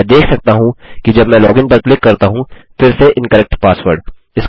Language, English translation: Hindi, I can see that when I click in login, again, Incorrect password